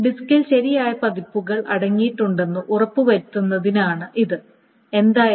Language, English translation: Malayalam, So this is to make sure that the disk contains the correct versions no matter what is there